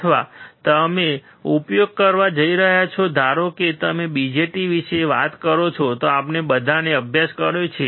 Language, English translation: Gujarati, Or you are you going to use suppose you we all have studied if you talk about BJT, right